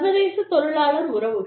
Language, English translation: Tamil, International labor relations